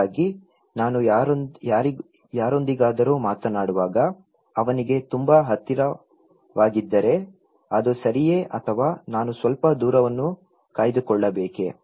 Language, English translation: Kannada, And so suppose, if I am very close to someone when I am talking to him, is it okay or should I maintain some distance